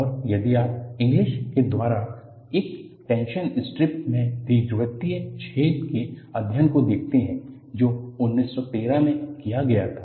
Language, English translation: Hindi, And, if you look at study of elliptical holes in a tension strip by Inglis, was done in 1913